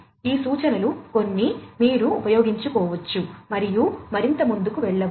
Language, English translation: Telugu, These are some of these references, which you could use and go through further